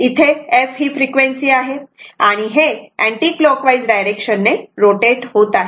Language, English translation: Marathi, F is the frequency so; it is rotating in the anticlockwise direction